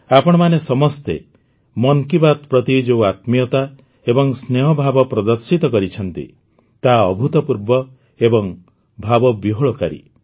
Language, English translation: Odia, The intimacy and affection that all of you have shown for 'Mann Ki Baat' is unprecedented, it makes one emotional